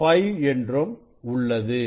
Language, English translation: Tamil, 5 it is at 1